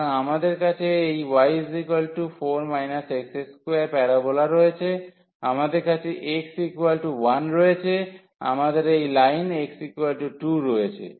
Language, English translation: Bengali, So, we have this y is equal to 4 minus x square that is the parabola, we have x is equal to one this is the line x is equal to 1 and we have the line x is equal to 2